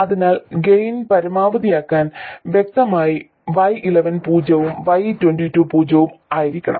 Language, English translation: Malayalam, So, to maximize the gain clearly, Y 1 1 has to be 0 and Y 22 has to be 0